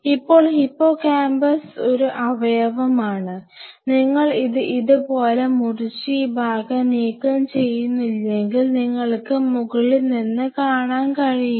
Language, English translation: Malayalam, Now hippocampus is an organ, you would not be able to see from the top unless you cut it like this and you remove this part